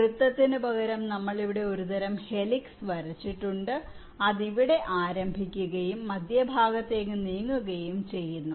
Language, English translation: Malayalam, now you see, instead of circle we have drawn some kind of a helix which starts form here and it moves down towards the center